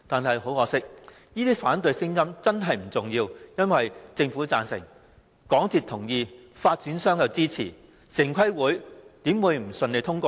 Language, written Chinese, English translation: Cantonese, 很可惜，這些反對聲音並不重要，因為政府贊成、香港鐵路有限公司同意，發展商也支持，城規會怎會不順利通過建議？, Unfortunately these opposing views are unimportant because the Government and the MTR Corporation Limited endorsed the project so did the developers